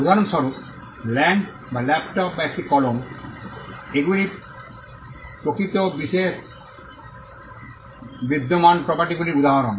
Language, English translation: Bengali, For example, land or a laptop or a pen, these are instances of property that exist in the real world